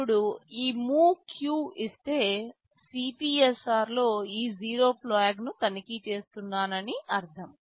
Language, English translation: Telugu, Now if I give this MOVEQ, this means I am checking this zero flag in the CPSR